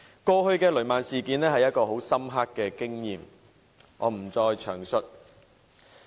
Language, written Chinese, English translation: Cantonese, 過去的雷曼事件是一次很深刻的經驗，我不再詳述了。, The Lehman incident some time ago has served as a profound lesson and I am not prepared to go into the details